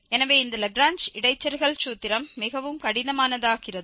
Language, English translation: Tamil, So, this Lagrange interpolation formula becomes really tedious